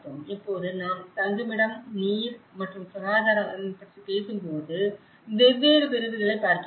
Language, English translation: Tamil, Now, when we talk about the shelter and water and sanitation, so different segments they look at it